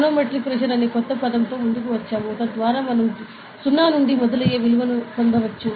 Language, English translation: Telugu, So, we came up with a new term called manometric pressure, so that we can get a value that starts from 0